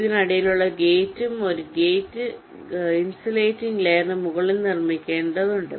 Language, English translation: Malayalam, in between and gate has to be fabricated on top of a insulating layer